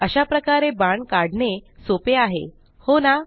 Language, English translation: Marathi, It is easier to draw an arrow this way, is it not